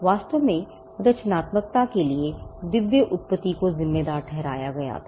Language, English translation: Hindi, In fact, creativity was attributed only to divine origin